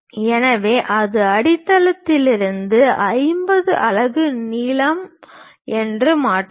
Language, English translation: Tamil, So, once we transfer that 50 units is the length, so that is from the base